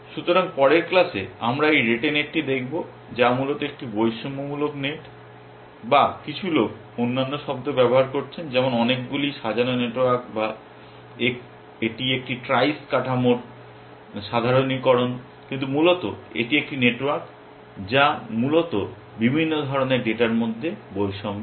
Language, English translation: Bengali, So, in the next class we will look at this rete net, which is basically a sort of a discrimination net or you can some people are use other terms like many sorted network or it is a generalization of a trice structure, but basically it is a network which discriminates between different kinds of data essentially